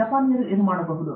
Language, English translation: Kannada, What are the Japanese working on